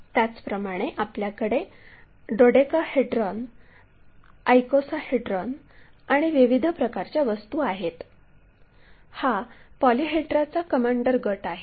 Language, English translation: Marathi, Similarly, we have dodecahedron, icosahedrons and different kind of objects, these are commander category of polyhedra